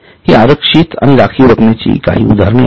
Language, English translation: Marathi, These are a few examples of reserve